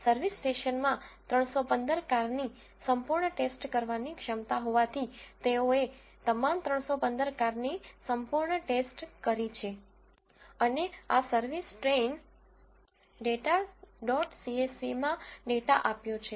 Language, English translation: Gujarati, Since, service station has capacity to thoroughly check 315 cars, they have thoroughly checked all the 315 cars and given the data in this service train data dot csv